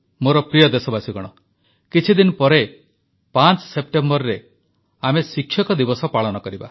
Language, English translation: Odia, My dear countrymen, in a few days from now on September 5th, we will celebrate Teacher's day